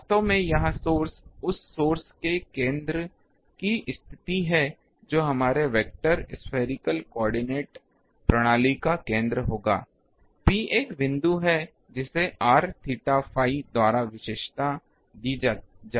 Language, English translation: Hindi, Actually, this source position the center of the source that will be our center of the coordinate spherical coordinate system, P is a point it will be characterized by r theta phi